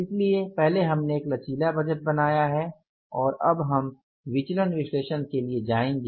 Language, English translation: Hindi, So, first we have created the flexible budget and now we will go for the variance analysis